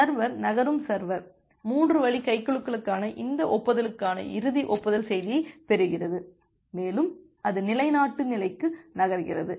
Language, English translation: Tamil, So, the server is moving server is getting this acknowledgment final acknowledgement message for the 3 way handshaking and it is moving to the establish state